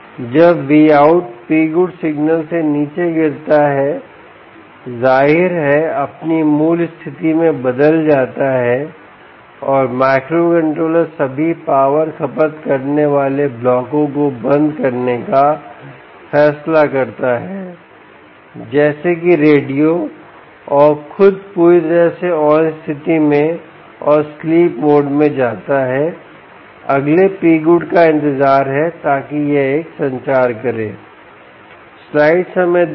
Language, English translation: Hindi, when v out falls down, p good signal obviously goes, reverts to its original status and microcontroller decides to switch off all power consuming blocks, such as radio and itself in fully on state, and goes to sleep mode awaiting the next p good so that it can do a communication